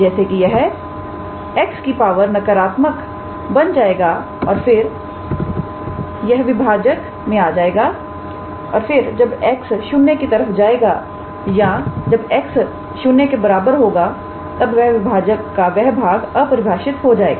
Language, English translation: Hindi, Since it will become x to the power minus something and then that will come at the denominator and then when x goes to or at x equals to 0 that denominator that particular part will be undefined